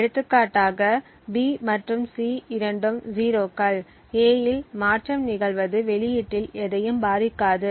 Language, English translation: Tamil, For example, given that B and C are both 0s, a change in A does not influence the output in any of these cases